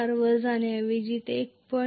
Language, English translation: Marathi, 4 it may be go to 1